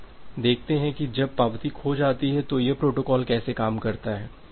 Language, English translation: Hindi, Now, let us see that how this protocol works when the acknowledgement is lost